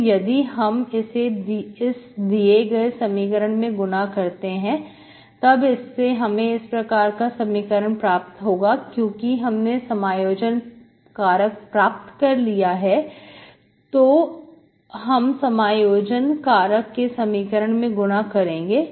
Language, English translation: Hindi, So if I multiply this to the given equation, so this implies, integrating factor is known, so you multiply this to the your equation